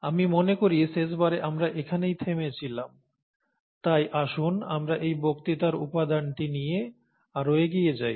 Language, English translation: Bengali, I think this is where we stopped last time, so let us go further with the lecture material of this lecture